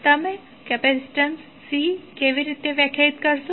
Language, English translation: Gujarati, So, how you will define capacitance C